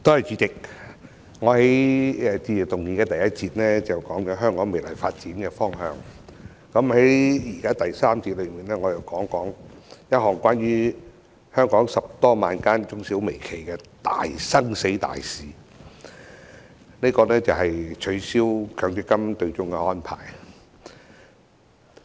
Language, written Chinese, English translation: Cantonese, 主席，我在致謝議案的首個辯論環節，談了香港未來的發展方向，現時在第三個環節，我想談談關乎香港10多萬間中小微企生死的大事，便是取消強制性公積金對沖的安排。, President in the first debate session on the Motion of Thanks I spoke on the future direction of the development of Hong Kong . We are now in the third debate session and I want to talk about a major life or death issue for some 100 000 micro small and medium enterprises MSMEs in Hong Kong and that is the abolition of the offsetting arrangement under the Mandatory Provident Fund MPF System